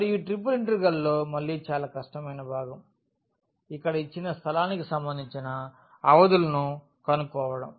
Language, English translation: Telugu, And, the most difficult part again in this triple integral is finding the limits corresponding to the given space here